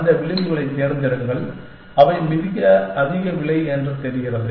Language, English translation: Tamil, Pick those edges, which seem to be very high cost